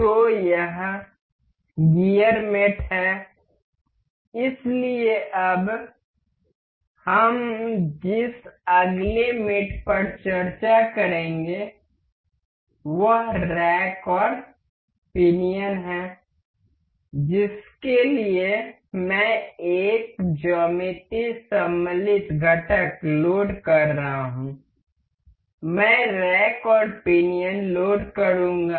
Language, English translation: Hindi, So, this is gear mate so, the next mate we will discuss about now is rack and pinion for that I will be loading one geometry insert component, I will just load rack and a pinion